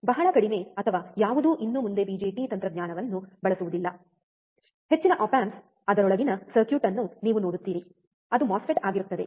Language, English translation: Kannada, Very few or almost none uses the bjt technology anymore, most of the op amps you will see the circuit within it would be of a MOSFET